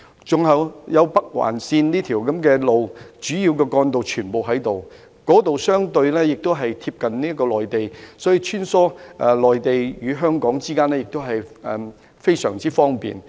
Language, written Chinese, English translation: Cantonese, 此外，該區也有北環線的道路，主要的幹道全部在那裏，亦相對貼近內地，所以要穿梭內地與香港之間，亦都非常方便。, There is also rail service to provide convenient transportation to the residents . In addition there are also accessing roads to the Northern Link where all the main trunk roads are connected . The place is relatively close to the Mainland so it is very convenient to travel between the Mainland and Hong Kong